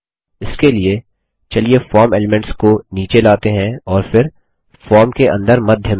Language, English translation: Hindi, For this, let us push down the form elements and then centre them within the form